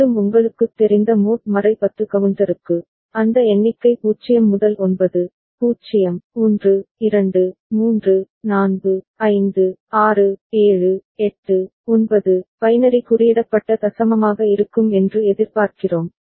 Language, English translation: Tamil, And again if we for a you know mod 10 counter, the we would expect that number will be 0 to 9, 0, 1, 2, 3, 4, 5, 6, 7, 8, 9, the way binary coded decimal are represented ok